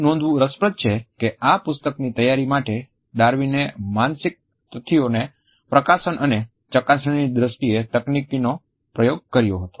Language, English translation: Gujarati, It is interesting to note that for the preparation of this book Darwin had experimented technique in terms of publication and verifying the psychological facts